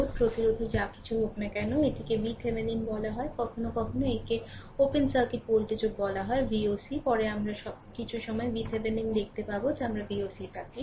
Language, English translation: Bengali, Load resistance whatever it is right and this is called v Thevenin; sometimes it is called open circuit voltage also v oc later we will see sometime v Thevenin we call v oc right